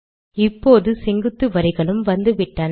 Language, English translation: Tamil, So now the vertical lines have also come